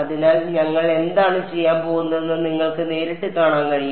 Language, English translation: Malayalam, So, you can straight away see what we are going to do